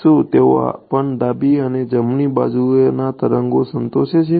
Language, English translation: Gujarati, Do they also satisfied both left and right wave